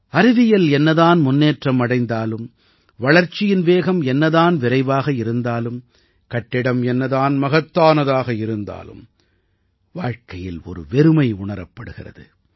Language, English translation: Tamil, However much science may advance, however much the pace of progress may be, however grand the buildings may be, life feels incomplete